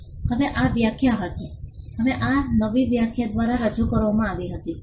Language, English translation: Gujarati, Now, these were definition, now these were introduced by the new definition